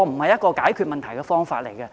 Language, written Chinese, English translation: Cantonese, 這不是解決問題的方法。, This is not the way to address the problem